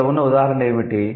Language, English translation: Telugu, And what an example we have here